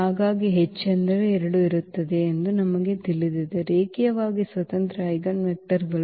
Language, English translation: Kannada, So, we know that there will be at most 2 linearly independent eigenvectors